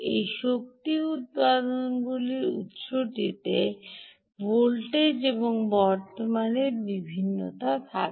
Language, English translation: Bengali, these energy generating sources incur voltage and current variations